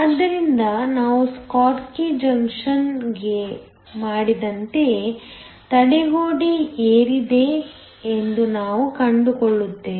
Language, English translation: Kannada, So just like we did for a schottky junction, we will find that the barrier has gone up